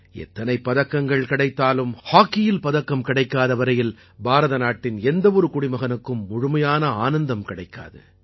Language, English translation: Tamil, And irrespective of the number of medals won, no citizen of India enjoys victory until a medal is won in hockey